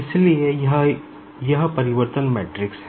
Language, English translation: Hindi, So, this is nothing but the transformation matrix